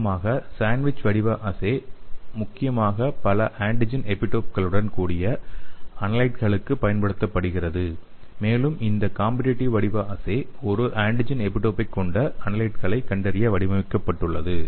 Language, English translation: Tamil, so usually the sandwich format assays are mainly utilized for analyte with multiple antigen epitopes and this competitive format assays are designed to detect an analyte with a single antigen epitope